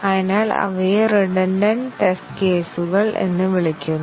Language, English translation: Malayalam, So, those are called as the redundant test cases